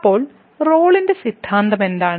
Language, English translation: Malayalam, So, what is Rolle’s Theorem